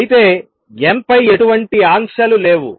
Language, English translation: Telugu, However, there are more restrictions on n